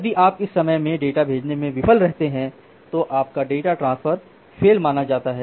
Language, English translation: Hindi, If you fail to send the data by that time then your transfer your data transfer we consider to be failure